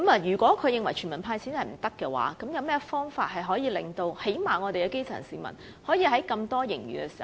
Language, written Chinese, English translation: Cantonese, 如果他認為"全民派錢"行不通，便應想想有何方法令基層市民最少也能從巨額盈餘中受惠。, If he finds a cash handout for all not feasible he should come up with some ways in which the grass roots can at least benefit from the colossal surplus